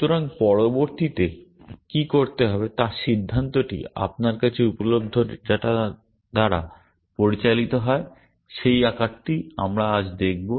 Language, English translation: Bengali, So, the decision of what to do next is driven by, is decided by the data that is available to you, which is the form that we will be looking at today